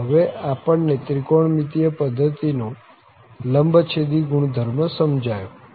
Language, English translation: Gujarati, So, now we should realize the orthogonal property of this trigonometric system